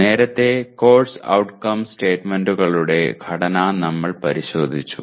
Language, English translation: Malayalam, Earlier, we looked at the structure of the Course Outcome statements